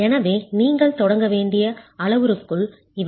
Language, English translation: Tamil, So those are the parameters that you will require to begin with